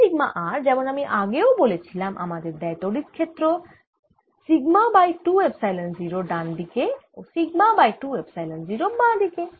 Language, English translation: Bengali, now sigma r, as i said earlier, gives me a field: sigma over two epsilon zero going to the right and sigma over two epsilon zero going to the left